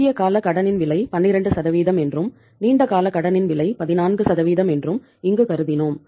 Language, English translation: Tamil, And we have assumed here that the cost of the short term debt is 12% and the cost of the long term debt is 14%